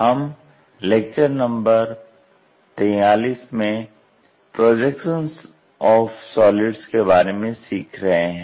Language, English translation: Hindi, We are at lecture number 42 learning about Projection of Solids